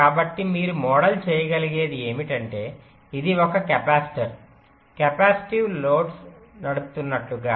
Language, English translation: Telugu, so essentially what you can model is that as if this is driving a capacitor, a capacitive load